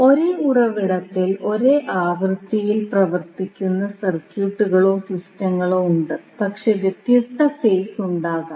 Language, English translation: Malayalam, Now, there are circuits or systems in which AC source operate at the same frequency, but there may be different phases So, we call them as poly phase circuit